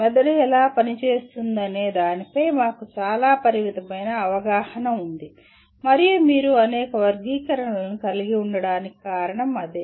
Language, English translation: Telugu, We have a very very limited amount of understanding of how the brain functions and that is the reason why you end up having several taxonomies